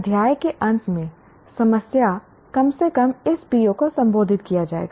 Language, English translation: Hindi, At least end of the chapter problems will at least moderately address this PO